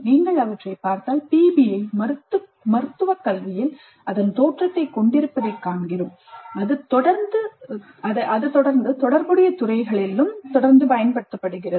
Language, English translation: Tamil, So if you look at them we see that PBI has its origin in medical education and it continues to be used quite extensively in that and related fields